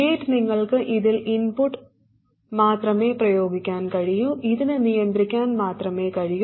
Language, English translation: Malayalam, The gate you can only apply the input, it can only control